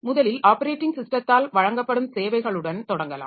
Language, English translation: Tamil, So, to start with the services that are provided by the operating system